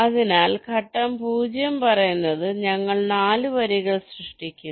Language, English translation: Malayalam, so the step zero says we generate four lines